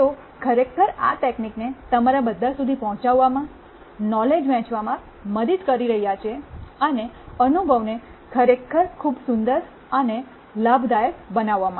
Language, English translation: Gujarati, They have been actually enabling this technology to reach all of you, helping in sharing the knowledge, and making the experience really beautiful and rewarding